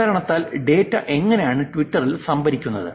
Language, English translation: Malayalam, Because what have, how is the data that is getting stored in Twitter